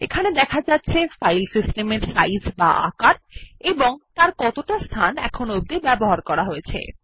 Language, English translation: Bengali, Here it shows the size of the Filesystem, and the space is used